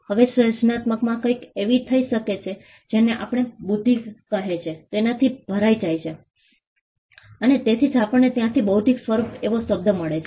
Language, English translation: Gujarati, Now creativity can is something that overlaps with what we called intelligence and that is why where we get the term intellectual from